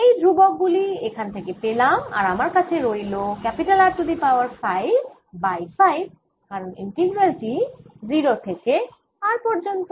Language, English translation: Bengali, this are the constant is coming from here, and then i have r raise to five over five, because this integral is from zero to r